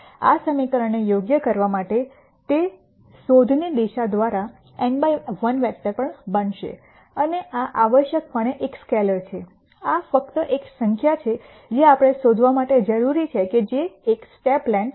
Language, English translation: Gujarati, Now, for this equation to be correct this is also going to be n by 1 vector the search direction and this is essentially a scalar this is just a number that we need to nd out which is a step length